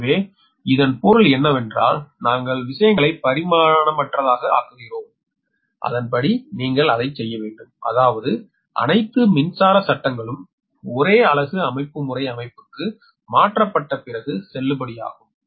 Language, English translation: Tamil, right, so that means we are making the things dimensionless and accordingly, judiciously, you have to do it such that all electric laws will be valid after transforming to the per unit system